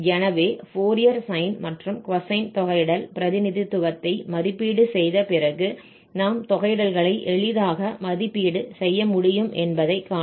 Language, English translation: Tamil, So, after evaluating this Fourier sine and the cosine representation, you will see that we can easily evaluate these integrals there